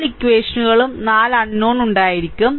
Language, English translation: Malayalam, So, you have 4 equations and 4 unknown